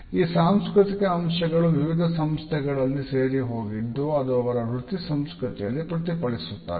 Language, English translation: Kannada, These cultural aspects percolate further into different organizations and it is reflected in their work culture